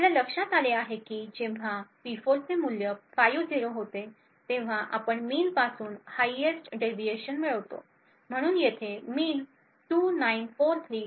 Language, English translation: Marathi, What we notice is that when the value of P4 becomes 50 we obtain the highest deviation from the mean, so the mean over here is 2943